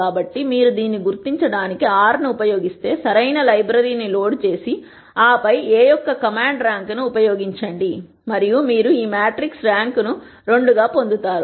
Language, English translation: Telugu, So, if you were to use R to identify this, simply load the correct library and then use the command rank of A and you will get the rank of the matrix to be 2